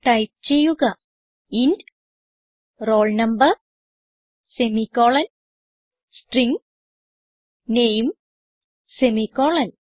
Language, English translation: Malayalam, So type int roll number semi colon and String name semi colon